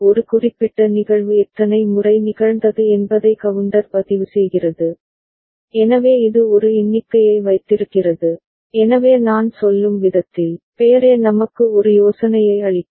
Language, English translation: Tamil, Counter keeps record of the number of times a particular event has occurred ok, so it keeps a count, so the way I mean, the name itself can give us an idea